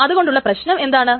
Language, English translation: Malayalam, Why is this a problem